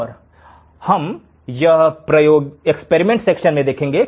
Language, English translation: Hindi, And this we will see in the experimental section